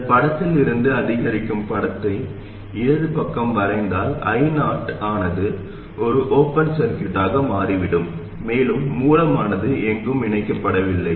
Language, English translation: Tamil, If we draw the incremental picture from this picture on the left side, I 0 will become an open circuit and the source is not connected anywhere